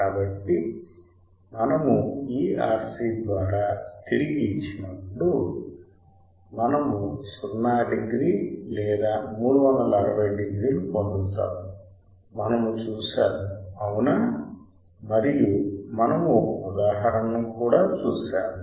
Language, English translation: Telugu, So, when we feed back through this R c; we will get 0 degree or 360 degrees we have seen that right and we have also seen an example